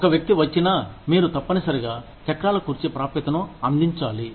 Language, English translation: Telugu, Even, if one person comes, you must provide, the wheelchair accessibility